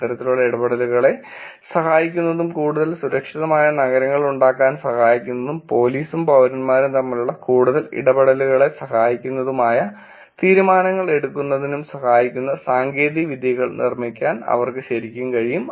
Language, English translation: Malayalam, They can actually build technologies which will help these kinds of interactions and help decisions also to be made which can help have more safer cities, help our more interactions between police and citizens